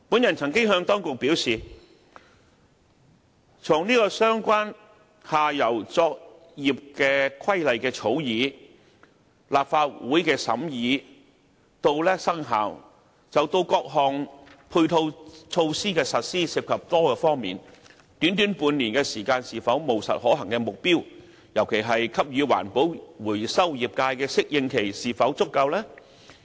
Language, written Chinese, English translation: Cantonese, 我曾經向當局表示，從相關下游作業規劃的草擬、立法會的審議至生效，到各項配套措施的落實，涉及多方面，短短半年時間是否務實可行的目標，特別是給予環保回收業界的適應期是否足夠呢？, I had told the authorities that various aspects will be involved throughout the entire process from the planning of operations in the downstream of the relevant industries to the scrutiny and commencement of operation of the Bill and even the implementation of complementary measures . Taking this into consideration will it be practically viable for the entire process to complete in six months? . In particular is the recycling industry given enough time as an adaptation?